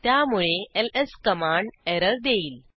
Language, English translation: Marathi, Hence the command ls will throw an error